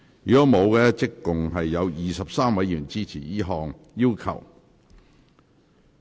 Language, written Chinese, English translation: Cantonese, 如果沒有，合共有23位議員支持這項要求。, If not we have 23 Members in total supporting this request